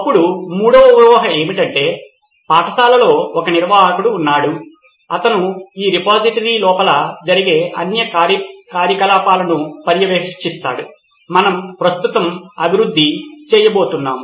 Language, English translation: Telugu, Then three is, assumption three is that there is an admin in the school who will be monitoring all the activities that would be happening inside this repository what we are going to develop right now